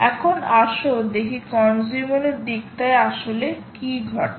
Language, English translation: Bengali, now lets shift and see what actually happens at the consumer side